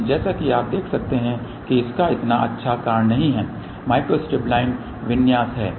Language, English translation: Hindi, But as you can see it is not so good the reason for that is that the micro strip line configuration